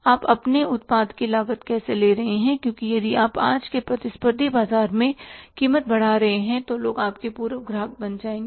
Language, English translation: Hindi, How you are costing your product because if you increase the price in today's competitive market then people will become your former customers